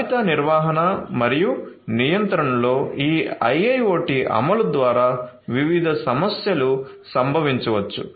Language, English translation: Telugu, There are different problems that can occur through this IIoT implementation in inventory management and control